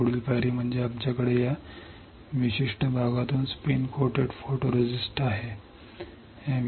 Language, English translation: Marathi, Next step is we have spin coated photoresist from this particular area